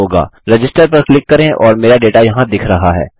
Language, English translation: Hindi, Click on Register and my data has been shown here